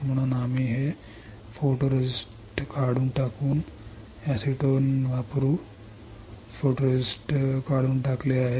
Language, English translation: Marathi, So, we have remove this photoresist by stripping it in by stripping the photoresist using acetone